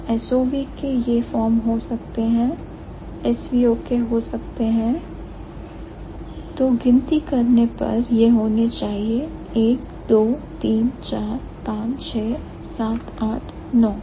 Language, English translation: Hindi, So, SOV can have these forms, SVO can have so counted, it should be 1, 2, 3, 4, 5, 6, 7, 8, 9